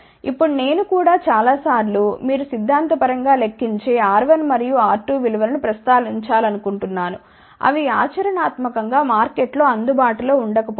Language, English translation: Telugu, Now, I also want to mention many a times the values of R 1 and R 2, which you calculate theoretically may not be available practically in the market